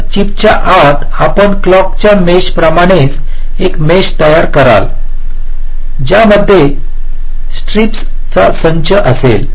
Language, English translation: Marathi, so inside the chip you create a power mesh, just like a clock mesh, consisting of a set of stripes